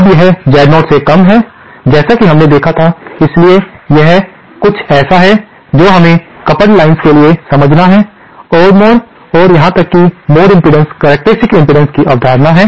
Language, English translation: Hindi, Now this is lesser than Z0 even as we had seen, so this is something we have to understand for the coupled lines, there is the concept of odd mode and even mode impedances, characteristic impedances